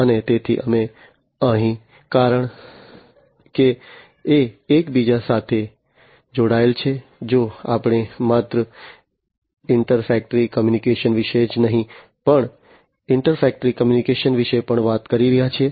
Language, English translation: Gujarati, And so we here because it is interconnected, if you know we are talking about not only intra factory communication, but also inter factory communication